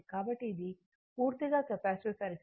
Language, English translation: Telugu, So, this is a purely capacitive circuit